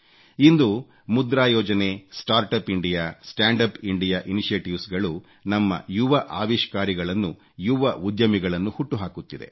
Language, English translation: Kannada, Today our monetary policy, Start Up India, Stand Up India initiative have become seedbed for our young innovators and young entrepreneurs